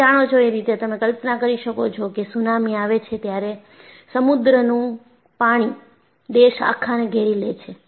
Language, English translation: Gujarati, You know, you can imagine, tsunami comes and you have sea water engulfs the country